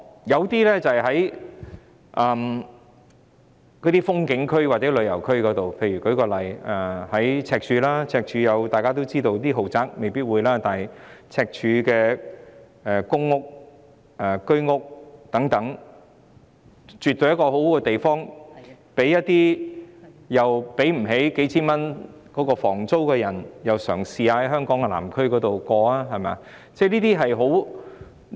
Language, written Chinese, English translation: Cantonese, 有些民宿位於風景區或旅遊區內，以赤柱為例，大家也知道，赤柱區的豪宅未必會有民宿，但在公屋和居屋等，絕對是一個好地方，讓那些負擔不起數千元房租的人試試在香港南區住宿。, Some homestays are located in scenic areas or tourist destinations . Let us take Stanley as an example . As we all know the luxury homes in Stanley may not be available for homestay accommodation but public rental housing and Home Ownership Scheme flats are definitely among the ideal places for those who cannot afford thousands of dollars in rent to get an experience of lodging in the Southern District of Hong Kong Island